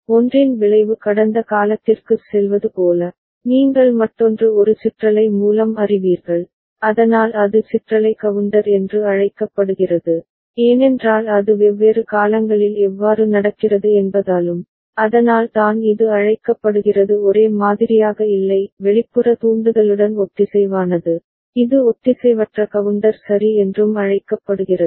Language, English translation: Tamil, As if the effect of the one is going past, you know to the other through a rippled manner, so that is called ripple counter, also it is because how it is happening in different point of time, so that is why, it is called not exactly in a same synchronous with the external trigger, it is also called asynchronous counter ok